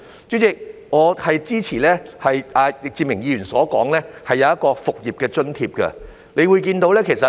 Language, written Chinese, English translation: Cantonese, 主席，我支持易志明議員所提出的建議，即提供"復業津貼"。, President I support the suggestion made by Mr Frankie YICK namely the provision of a business resumption allowance